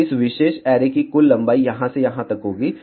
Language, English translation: Hindi, So, total length of this particular array will be from here to here